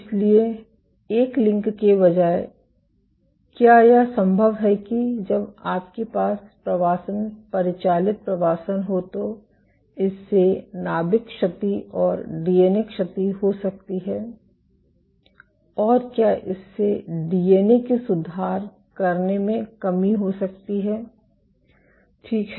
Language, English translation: Hindi, So, instead a link there, is it possible that when you have migration confined migration can this lead to nuclear damage and somehow this translate into defects, nuclear damage and DNA damage and can it lead to defects in DNA repair ok